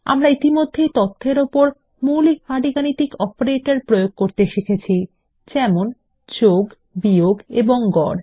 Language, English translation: Bengali, We have already learnt to apply the basic arithmetic operators like addition,subtraction and average on data